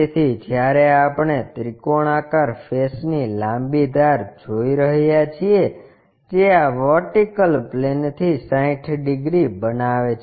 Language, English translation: Gujarati, So, when we are seeing the longer edge of the triangular face that makes 60 degrees with this vertical plane